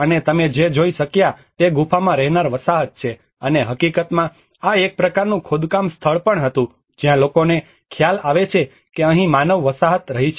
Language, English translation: Gujarati, And what you could see is the cave dweller settlement, and in fact this was also a kind of excavation site where people realize that there has been a human settlement here